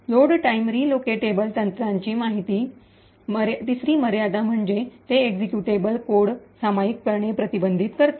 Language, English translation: Marathi, The, third limitation of load time relocatable technique is that it prevents sharing of executable code